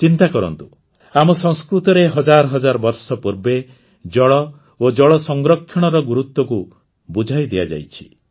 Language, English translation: Odia, Think about it…the importance of water and water conservation has been explained in our culture thousands of years ago